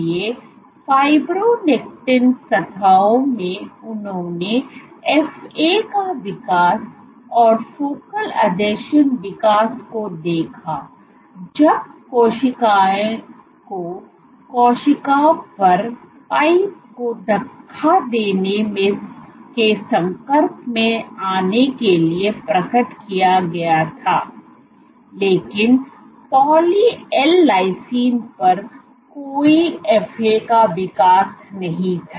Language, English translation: Hindi, So, focal adhesions growth when cells were exerted, when cells were exposed to force exposed to pipette pushing on the cell, but on poly L lysine there was no FA growth ok